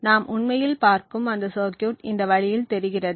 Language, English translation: Tamil, The circuit that we will actually look, looks something like this way